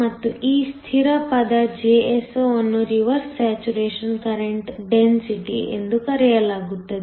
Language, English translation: Kannada, And, this constant term Jso is called the reverse saturation current density